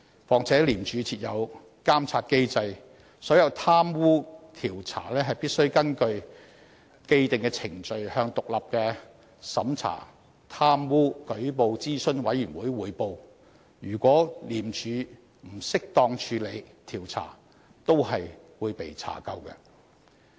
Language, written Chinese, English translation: Cantonese, 況且廉署設有監察機制，所有貪污調查工作必須根據既定程序向獨立的審查貪污舉報諮詢委員會匯報，如果廉署不適當處理調查也是會被查究的。, Moreover ICAC is subject to a monitoring mechanism . All corruption investigations must be reported to the Operations Review Committee in accordance with established procedures . If there is any improper handling of investigation on the part of ICAC it will certainly be held accountable